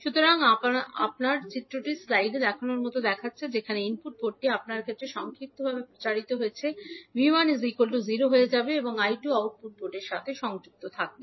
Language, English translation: Bengali, So your figure will look like as shown in the slide where the input port is short circuited in that case your V 1 will become 0 and I 2 is connected to the output port